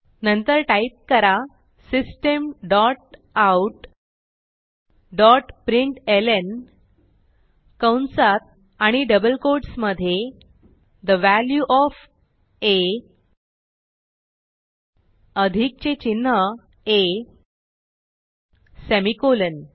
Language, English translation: Marathi, Then type System dot out dot println within brackets and double quotes The value of a is plus a semicolon